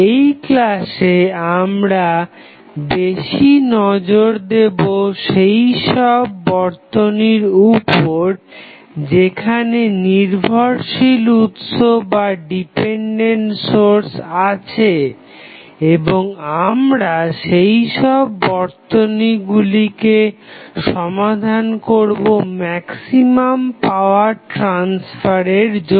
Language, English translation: Bengali, In this lecture, we will more focused about the circuit where the dependent sources are available, and we will try to solve the circuit for maximum power transfer